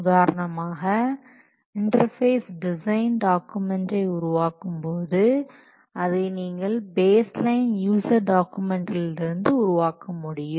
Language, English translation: Tamil, For example, if you want to develop now what the interface design documents, then you can develop it from the baseline user documents